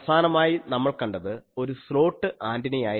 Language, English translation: Malayalam, So, in the last one we have seen a slot type of antenna